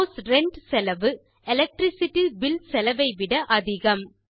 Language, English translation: Tamil, The cost of House Rent is more than that of Electricity Bill